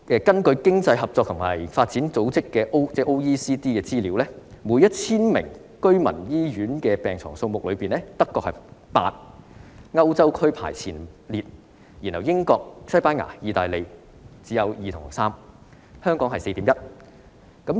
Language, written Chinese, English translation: Cantonese, 根據經濟合作與發展組織的資料，每 1,000 名居民可使用醫院病床的數目，德國為8張，在歐洲排名前列，英國、西班牙及意大利只有2張或3張，香港是 4.1 張。, According to the data of the Organisation for Economic Co - operation and Development eight hospital beds are available for every 1 000 residents in Germany which ranks first in Europe whereas only two or three beds are available in the United Kingdom Spain and Italy and the figure in Hong Kong is 4.1